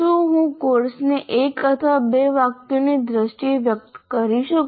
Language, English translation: Gujarati, Can I express the course in terms of one or two sentences